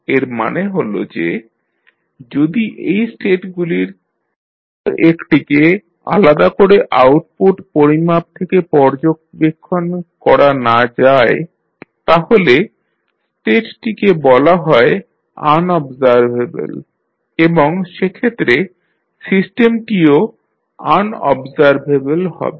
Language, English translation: Bengali, That means that if anyone of the states cannot be observed from the measurements that is the output measurements, the state is said to be unobservable and therefore the system will be unobservable